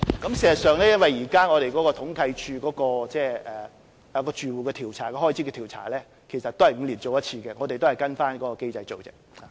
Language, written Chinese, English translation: Cantonese, 事實上，由於現時統計處就綜援住戶開支統計的調查是每5年進行一次，所以我們也是跟隨該機制進行而已。, In fact since the Household Expenditure Survey on CSSA households is conducted by CSD every five years we are simply working in accordance with that mechanism